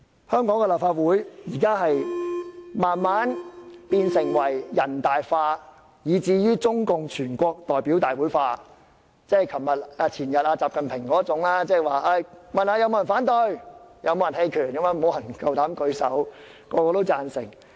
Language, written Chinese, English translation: Cantonese, 香港的立法會逐漸變得"人大化"，以至"中國共產黨全國代表大會化"，即有如習近平前天的做法般，詢問是否有人反對或棄權也沒有人敢舉手，人人也贊成。, The Legislative Council of Hong Kong is becoming NPC - like and Communist Party of China National Congress - like gradually . As XI Jinping did a few days ago when he asked if anyone opposed or abstained no one dared raise his hand and all expressed support